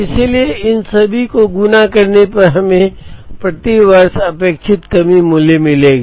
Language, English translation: Hindi, So, all these when multiplied would give us expected shortage cost per year